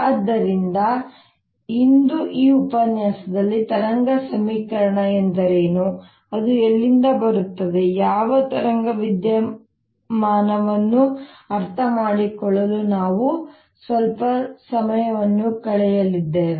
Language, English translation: Kannada, so in this lecture today, we are going to spend some time to understand what wave equation is, where it comes from, what wave phenomenon is